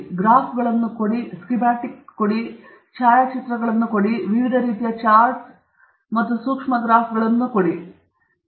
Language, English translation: Kannada, You can have graphs, you can have schematics, you can have photographs, you can have charts of different kinds, you can have micro graphs of different kinds, etcetera